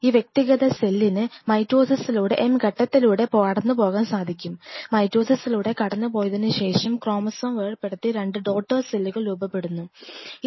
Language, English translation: Malayalam, This individual cell has can go through something called a process of mitosis M phase what we call as the mitosis is the M phase after the mitosis where the chromosome separates out and the 2 daughter cells are formed